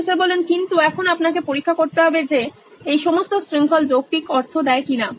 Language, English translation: Bengali, But now you’ve to keep examining whether all this chain makes a logical sense